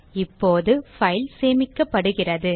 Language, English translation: Tamil, So the file is now saved